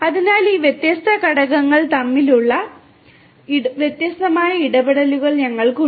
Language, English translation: Malayalam, So, we have these different you know interactions between these different components